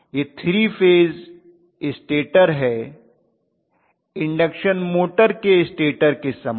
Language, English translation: Hindi, It is a 3 phase stator similar to induction motor stator